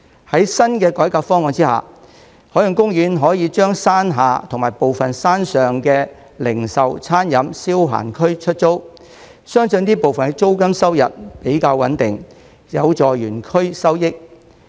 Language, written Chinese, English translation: Cantonese, 在新的改革方案下，海洋公園可以將山下及部分山上的零售、餐飲、消閒區出租，相信這部分的租金收入比較穩定，有助園區收益。, Under the new reform proposal OP can rent out the Retail Dining and Entertainment zone in the lower park and parts of that in the upper park . This I believe can generate a more stable rental income and help boost its revenue